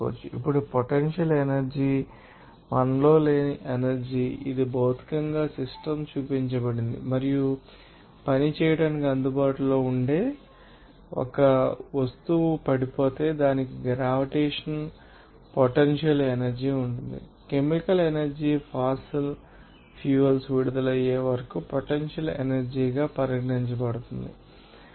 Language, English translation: Telugu, Now potential energy is energy that is not in us that is physically installed and is available to do work and if an object can fall it has gravitational potential energy, the chemical energy inyou will see that in fossil fuels is considered potential energy until released